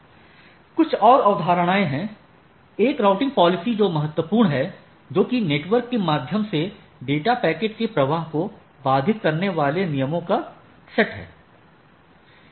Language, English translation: Hindi, There are few more concepts one is that routing policy that is important the set of rules constraining the flow of data packets through the network right